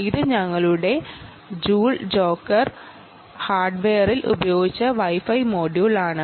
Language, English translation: Malayalam, this is the wifi module that we have used in our joule jotter hardware